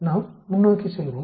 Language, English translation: Tamil, Let us go forward